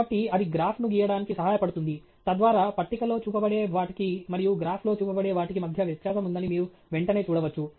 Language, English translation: Telugu, So, it helps to then draw the graph; so that you can see immediately that, you know, there is a difference between what can be shown on a table, and what can be shown on a graph